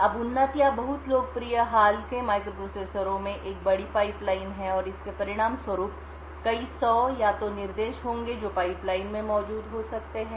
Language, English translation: Hindi, Now advanced or very popular recent microprocessors have a considerably large pipeline and as a result there will be several hundred or so instructions which may be present in the pipeline